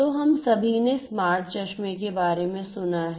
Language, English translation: Hindi, So, all of us have heard about smart glasses smart glasses